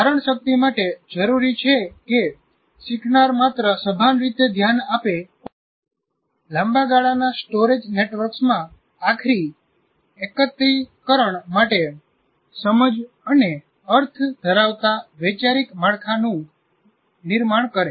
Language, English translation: Gujarati, So, retention requires that the learner not only give conscious attention, but also build conceptual frameworks that have sense and meaning for eventual consolidation into the long term storage networks